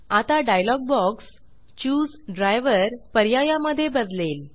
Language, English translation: Marathi, Now, the dialog box switches to the Choose Driver option